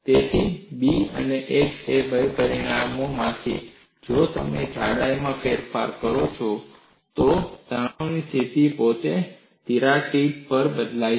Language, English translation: Gujarati, So, of the two parameters B and h, if you vary the thickness, the stress state itself changes at the crack tip